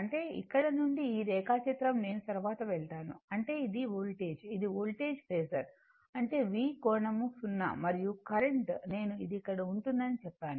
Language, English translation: Telugu, That means, from here, this diagram, I will come to later; that means, this is my voltage, this is my voltage phasor, that is V angle 0 and current, I told you it will be here